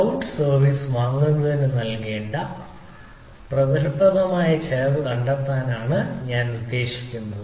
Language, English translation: Malayalam, i mean to find out that the effective cost payable towards the buying the cloud services